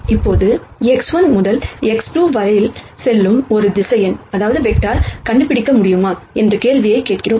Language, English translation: Tamil, Now, we ask the question as to, whether we can de ne a vector which goes from x 1 to x 2